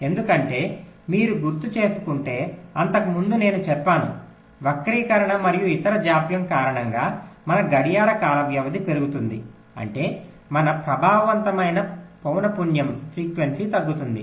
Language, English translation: Telugu, because, if you recall earlier i mentioned that because of the skew and the other such delays, our clock time period increases, which means our effective frequency decreases